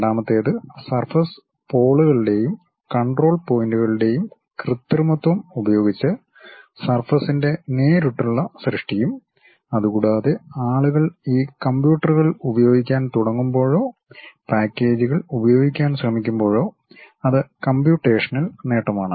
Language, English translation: Malayalam, The second one is direct creation of surface with manipulation of the surface poles and control points and a computational advantage when people started using these computers or trying to use packages